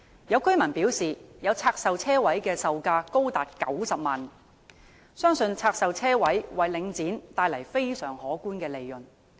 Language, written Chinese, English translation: Cantonese, 有居民表示，有拆售車位的售價高達90萬元，相信拆售車位為領展帶來非常可觀的利潤。, According to a resident the price of a parking space divested is as high as 900,000 . It is believed that the divestment of car parking facilities has brought substantial benefits to Link REIT